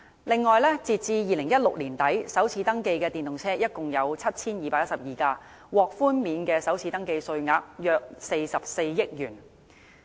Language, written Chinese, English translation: Cantonese, 此外，截至2016年年底，首次登記的電動車共 7,212 輛，獲寬免的首次登記稅額約44億元。, Moreover as at late 2016 about 4.4 billion worth of first registration tax concessions had been granted to totally 7 212 EVs registered for the first time